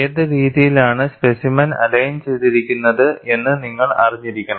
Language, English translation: Malayalam, You should know which way the specimen is aligned